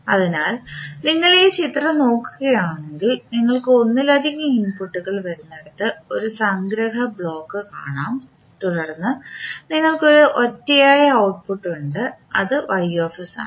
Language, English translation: Malayalam, So, if you see this particular figure you will see one summing block you have where you have multiple inputs coming and then you have one unique output that is Ys